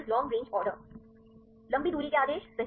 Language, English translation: Hindi, Long range order; right